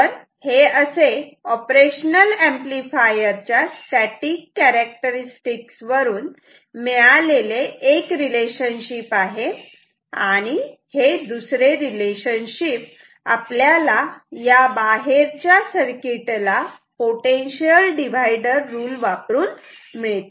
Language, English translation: Marathi, So, this is one relation, which comes from the static characteristics of the op amp and the other relationship is this which comes from the external circuit, potential divider kind of potential divider rule here